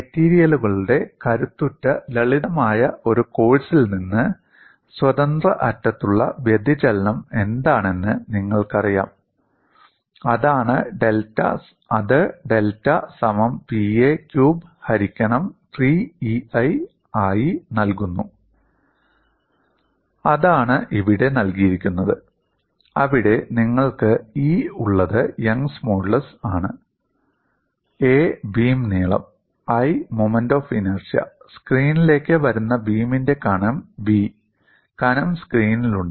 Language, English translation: Malayalam, And from a simple course in strength of materials, you know what is deflection at the free end, and that is given as delta equal to Pa cube by 3EI; that is what is given here, where you have E is young's modulus; a is the length of the beam; I is moment of inertia; B is the thickness of the beam which is into the screen; the thickness is in the into the screen